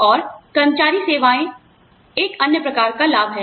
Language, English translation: Hindi, And, employee services is another type of benefit